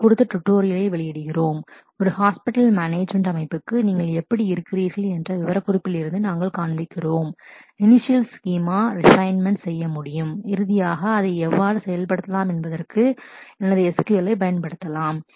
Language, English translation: Tamil, We are releasing a tutorial on this where for a hospital management system we are showing from the specification how you can do the initial schema and the refinements and finally, how can you implement it using my SQL